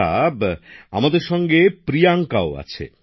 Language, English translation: Bengali, Ok, Priyanka is also with us